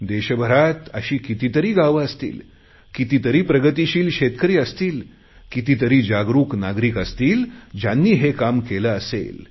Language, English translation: Marathi, There must be many such villages in the country, many progressive farmers and many conscientious citizens who have already done this kind of work